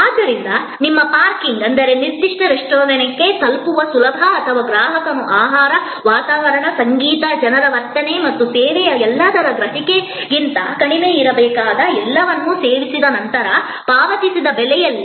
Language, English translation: Kannada, So, your parking is, ease of reaching the particular restaurant or in the price that the customer has paid after the meal all that must be less than the customer perception of the food, the ambiance, the music, the behavior of people everything and the service delivery process